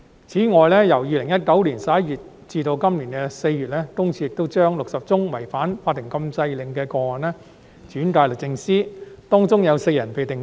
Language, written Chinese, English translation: Cantonese, 此外，由2019年11月至今年4月，私隱公署亦將60宗違反法庭禁制令的"起底"個案轉介予律政司，當中有4人被定罪。, Moreover between November 2019 and April this year PCPD referred 60 doxxing cases on suspicion of breaching the courts injunction orders to DoJ